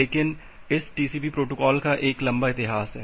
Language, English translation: Hindi, But this TCP protocol has a long history